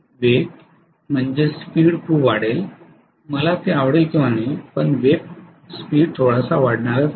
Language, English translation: Marathi, The speed will increase enormously whether I like it or not the speed is going to increase quite a bit